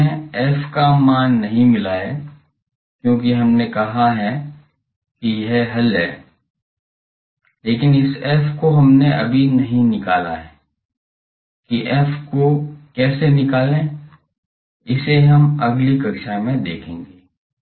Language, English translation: Hindi, Till now we have not got the f value, because we have said the solution is this, but this f we have not determined how to find f, so that we will see in the next class